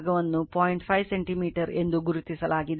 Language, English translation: Kannada, 5 centimeter is equal to 0